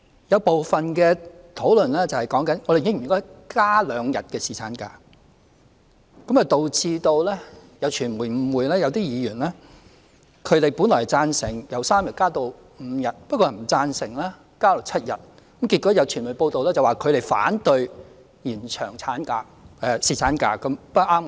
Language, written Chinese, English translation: Cantonese, 有部分議員談論到應否增加兩天侍產假，導致有傳媒誤會某些議員，他們本來贊成侍產假由3天增至5天，但不贊成增至7天，結果有傳媒報道指他們反對延長侍產假。, Some Members talked about whether paternity leave should be increased by two days and this caused some media outlets to misunderstand certain Members . Those Members basically support increasing paternity leave from three days to five days but do not support increasing it to seven days . As it turned out some media reports alleged that those Members opposed the extension of paternity leave